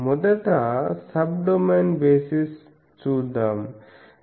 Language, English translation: Telugu, What is sub domain basis